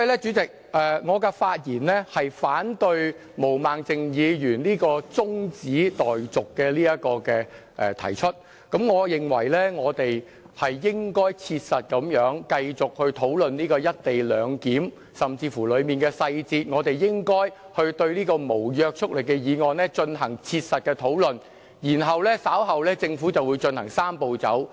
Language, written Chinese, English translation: Cantonese, 主席，我的發言是反對毛孟靜議員的中止待續議案，我認為我們應該切實地繼續討論"一地兩檢"安排，以及當中的細節，我們應該對此項無約束力的議案進行切實的討論，然後政府稍後就會進行"三步走"。, President I speak in opposition to Ms Claudia MOs adjournment motion . I think we should continue to discuss the co - location arrangement and the details thereof in a pragmatic manner . We should practically discuss this non - binding motion before the Government kicks off the Three - step Process